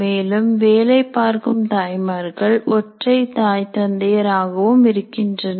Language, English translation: Tamil, But you may have working mothers, single fathers, single mothers